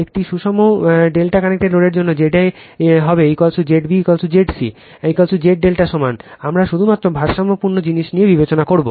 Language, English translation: Bengali, For a balanced delta connected load Z a will be is equal to Z b is equal to Z c is equal to Z delta equal